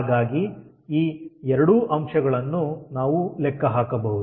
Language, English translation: Kannada, so both this point we can calculate